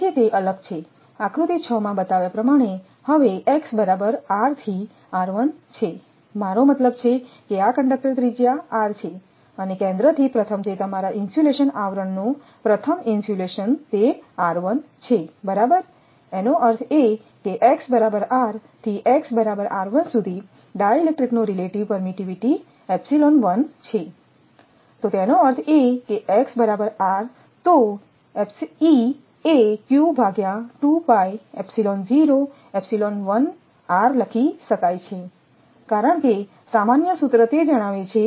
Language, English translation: Gujarati, So, with differ that that I showed in the figure six right now from x is equal to r to x is equal to r 1, I mean your this is conductor radius r and from center to the first that is your insulation sheath first insulation it is r 1 right; that means, at x is equal; that means, from x is equal to r to x is equal to r 1 that dielectric with relative permittivity epsilon 1 because its relative permittivity epsilon 1 right